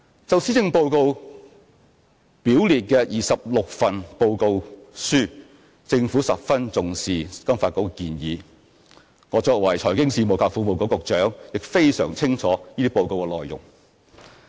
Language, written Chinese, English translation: Cantonese, 就施政報告表列的26份報告書，政府十分重視金發局的建議，我作為財經事務及庫務局局長，亦非常清楚這些報告的內容。, With regard to the 26 reports listed in the Policy Address I have to say that the Government has attached great importance to the suggestions offered by FSDC and as the Secretary for Financial Services and the Treasury I also have a very clear understanding of the contents of these reports